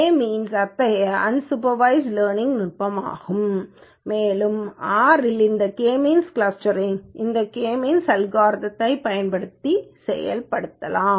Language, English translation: Tamil, K means is one such unsupervised learning technique and this K means clustering in R can be implemented by using this K means function